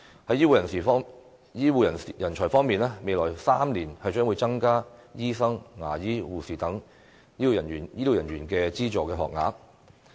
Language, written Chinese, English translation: Cantonese, 在醫護人才方面，未來3年將會增加醫生、牙醫和護士等醫療人員的資助學額。, As regards health care talents the Government will increase publicly - funded training places for health care personnel such as doctors dentists and nurses in the coming three years